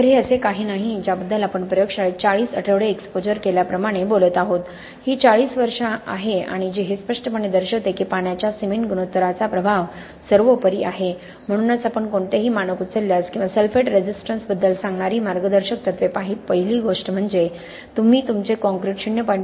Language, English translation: Marathi, So this is not something which we are talking about as done in the lab like 40 weeks of exposure this is 40 years, so a significant amount of work and this clearly shows that the influence of water cement ratio is paramount which is why if you pick up any standard or guideline which talks about sulphate resistance the first thing they point out that is that you must choose your concrete with the water cement ratio lower than 0